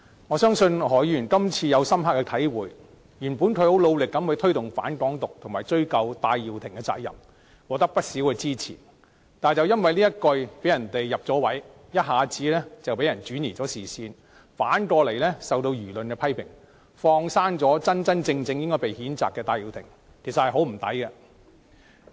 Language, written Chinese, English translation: Cantonese, 我相信何議員今次已有深刻的體會，原本他很努力地推動"反港獨"和追究戴耀廷的責任，獲得不少支持，但因為這一句被人趁機得逞，一下子被人轉移視線，反而受到輿論的批評，"放生了"真正應該被譴責的戴耀廷，其實很可惜。, Originally his enthusiasm in promoting the opposition to the independence of Hong Kong and ascertaining the responsibilities of Prof Benny TAI has won a lot of support . However some people have successfully diverted peoples attention by taking advantage of his remarks . Now he is being criticized by public opinions while Prof Benny TAI the one who should be censured is let go